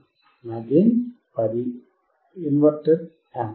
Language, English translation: Telugu, My gain would be 10 inverting, inverting amplifier